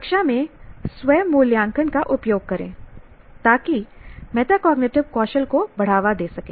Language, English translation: Hindi, Use self assessment in the classroom to promote metacognitive skills